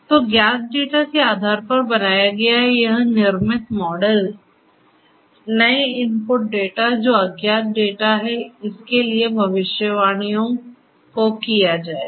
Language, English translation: Hindi, So, this created model based the model that has been created based on the known data will be used for predictions for the new input data which is the unknown data, right